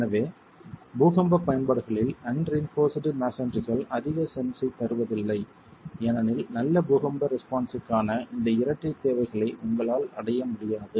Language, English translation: Tamil, So unreinforced masonry in earthquake applications doesn't make too much of sense because you will not be able to achieve these twin requirements for good earthquake response